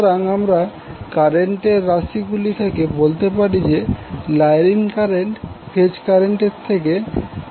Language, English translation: Bengali, So this you can see from the current expressions that the line current is lagging the phase current by 30 degree